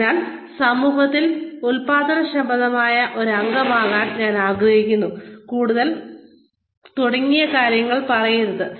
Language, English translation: Malayalam, So, do not say things like, I would like to be a productive member of society